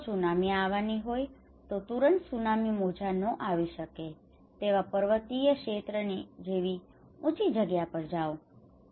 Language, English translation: Gujarati, If there is a tsunami, go immediately to the higher place in a mountainous area where tsunami waves cannot come